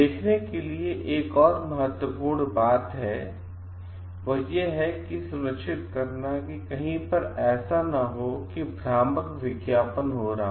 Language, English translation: Hindi, One of the very important thing to take care off is that to ensure like nowhere at deceptive advertising is getting done